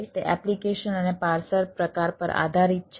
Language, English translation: Gujarati, application behavior will depend on the parser type